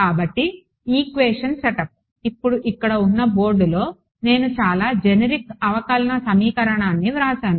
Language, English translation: Telugu, So, the equation setup, now on the board over here I have written very generic differential equation